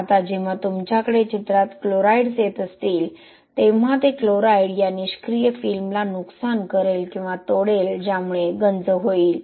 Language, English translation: Marathi, Now when you have chlorides coming into the picture that chloride will actually damage or break this passive film which will lead to corrosion